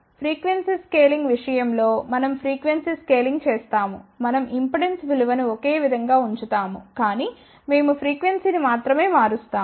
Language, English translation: Telugu, Then we do frequency scaling in case of frequency scaling what we do we keep the impedance value same, but we only change the frequency